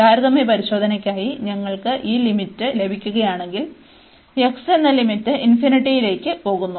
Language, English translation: Malayalam, And if we get this limit for the comparison test, so the limit x goes to infinity